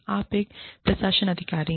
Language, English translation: Hindi, You are an administration authority